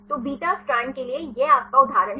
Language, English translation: Hindi, So, this is your example for the beta strand